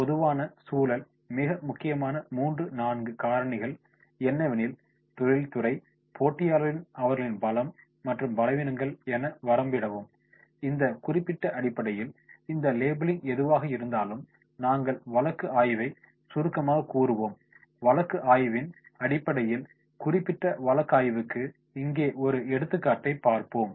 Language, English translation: Tamil, The general environment, limit to 3 to 4 most important points, the industry, the competitors, the strengths, the weaknesses and then on basis of these particular whatever these labelling is done and we will summarise the case study and on basis of the case study we will go the particular case study as an example here